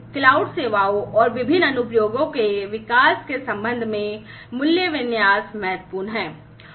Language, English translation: Hindi, So, value configuration with respect to the development of cloud services, and the different applications